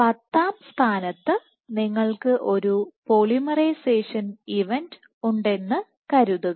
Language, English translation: Malayalam, Let us assume at position 10 you have a polymerization event